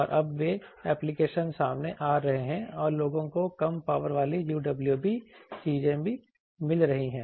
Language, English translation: Hindi, And it is now those applications are coming up and people have also come up low power UWB things